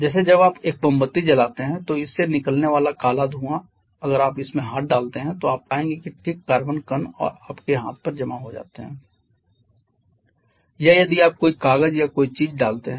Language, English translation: Hindi, Like when you burn a candle then the black smoke that comes out of this if you put your hand into this you will find fine carbon particles get deposited onto your hand or if you put any piece of paper or something that will that is what we call a soot that is unburned carbon